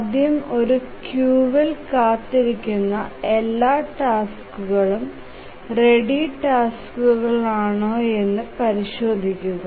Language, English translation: Malayalam, Let's first examine if all the tasks are ready tasks are waiting in a queue